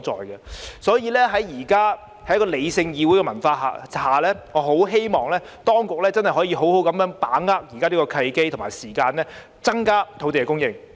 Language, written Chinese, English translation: Cantonese, 因此，在現時理性的議會文化下，我十分希望當局可以好好把握現在的契機和時間，增加土地供應。, Therefore under the current rational parliamentary culture I very much hope that the authorities can seize the present opportunity and time to increase land supply